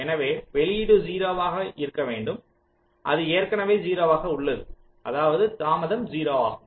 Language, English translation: Tamil, so the output is supposed to be zero and it is already zero